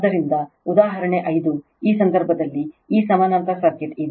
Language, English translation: Kannada, So, example 5 in this case this parallel circuit is there